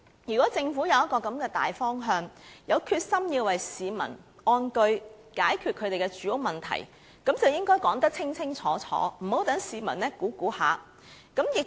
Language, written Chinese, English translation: Cantonese, 如果政府有這樣一個大方向，有決心讓市民安居，解決他們的住屋問題，便應該說得清清楚楚，不要讓市民胡亂猜想。, If the Government has such a general direction determined to enable the people to live in peace and resolve their housing problems it should make everything clear to avoid the people making wild guesses